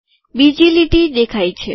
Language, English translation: Gujarati, A second line has come